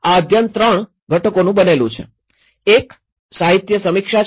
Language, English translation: Gujarati, This study has composed of 3 components; one is the literature review